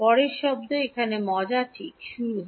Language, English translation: Bengali, Next term, here is where the fun starts right